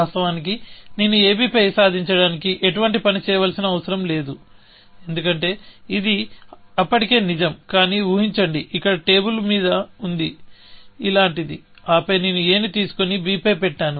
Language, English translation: Telugu, Of course, I did not have to do any work to achieve on ab, because it was already true, but imagine that, a was on the table here, or something like this, and then, I picked up a, and put on to b